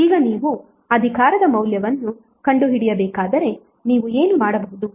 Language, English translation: Kannada, Now if you need to find out the value of power what you can do